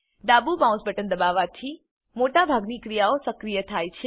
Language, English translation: Gujarati, Pressing the left mouse button, activates most actions